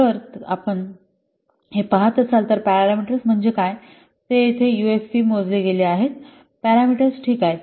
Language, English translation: Marathi, So if you can see that here the ufp is computed as the here what are the parameters